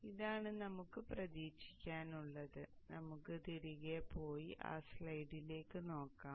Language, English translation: Malayalam, So this is what we can expect and let us go back and have a look at that